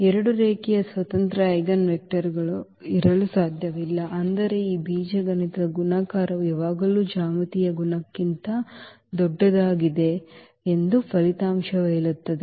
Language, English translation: Kannada, So, there cannot be two linearly independent eigenvectors, that was that result says where we have that these algebraic multiplicity is always bigger than the geometric multiplicity